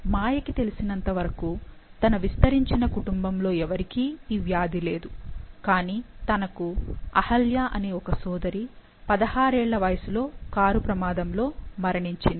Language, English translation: Telugu, As far as Maya knows, no one else in her extended family has the disease, although she had a sister Ahilya, who died in a car accident when she was 16